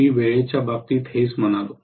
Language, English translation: Marathi, This is what I said with respect to time